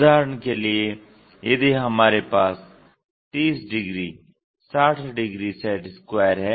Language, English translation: Hindi, For example, if we are having a 30 degrees 60 degrees set square